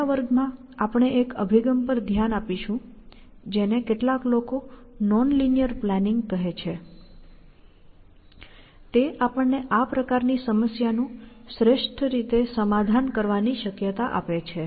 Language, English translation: Gujarati, So, in the next class, we will look at an approach, which some people call as non linear planning, which allows us the possibility of solving this kind of a problem, optimally